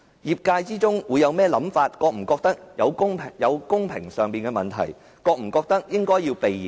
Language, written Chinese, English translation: Cantonese, 業界會有甚麼想法，會否覺得有欠公平，他會否覺得應該避嫌？, What would the sector think? . Would it have a feeling of unfairness? . And would he think that he had to avoid arousing suspicion?